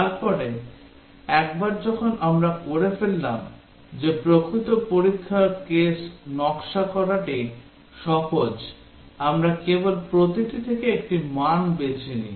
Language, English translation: Bengali, Then once we have done that the actual test case design is simple, we just pick one value from each one